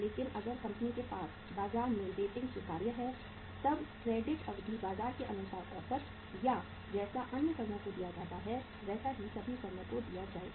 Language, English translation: Hindi, But if the company has acceptable rating in the market then the credit period can be as per the market uh say average or the as it is being given to the other firms in the industry it will be given to all the firms